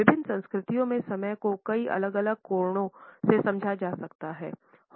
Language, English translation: Hindi, The way different cultures understand the function of time can be understood from several different angles